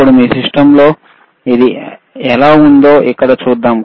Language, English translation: Telugu, Now let us see how it looks on your system here